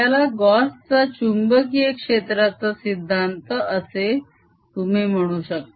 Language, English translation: Marathi, you can call this like i'll just put it in quotes gauss's law for magnetic field